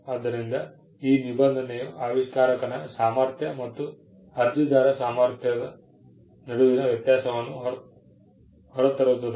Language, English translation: Kannada, So, this provision brings out the distinction between the capacity of an inventor and the capacity of an applicant